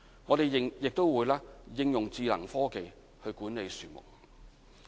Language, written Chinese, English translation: Cantonese, 我們亦會應用智能科技去管理樹木。, We will also make use of smart technology in tree management